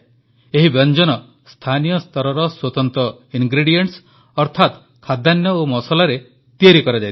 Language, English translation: Odia, These dishes are made with special local ingredients comprising grains and spices